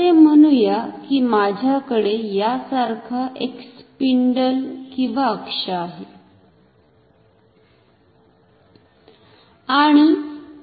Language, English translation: Marathi, So, this spindle or the axis can rotate like this